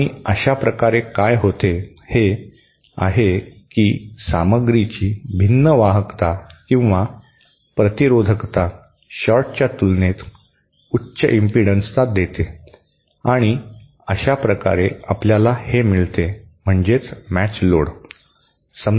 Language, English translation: Marathi, And this way what happens is that the different conductivity or the resistivity of the material introduces high impedance as compared to the short and that is how you get this, get that matched load